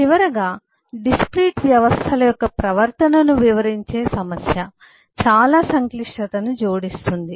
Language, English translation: Telugu, finally is a problem of characterizing the behavior of discrete systems, which adds a lot of complexity